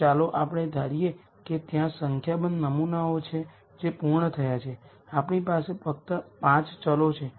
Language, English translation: Gujarati, So, let us assume there are a certain number of samples which are complete we have only 5 variables